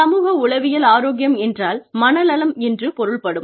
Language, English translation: Tamil, Psychological health means, mental health